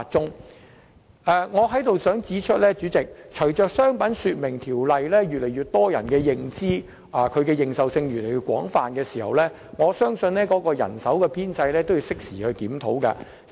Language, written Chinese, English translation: Cantonese, 主席，我在此想指出，隨着越來越多人對《條例》有所認識，對《條例》的引用亦越來越廣泛，當局應適時檢討海關的人手編制。, President I would like to point out that as more and more people know about the Ordinance the invocation of the Ordinance will become increasingly extensive